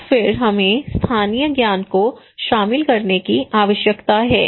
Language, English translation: Hindi, And then we need to incorporate local knowledge